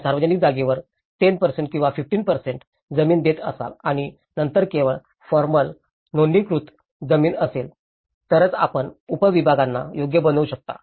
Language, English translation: Marathi, Whether you are giving a 10% or 15% of land for the public place and then only it could be formally registered land, then only, you can make the subdivisions right